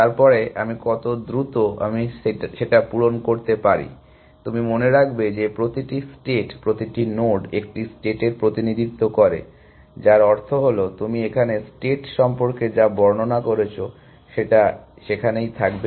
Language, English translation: Bengali, Then how quickly well I am will get fill up with, you remember that each state, each node is a representation of a state which means that, whatever you have described about the state would be there